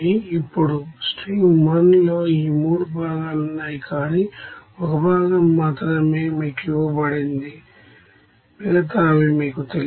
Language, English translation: Telugu, Now in stream 1 this 3 components are there but the amount of only one components A is given to you, others are unknown to you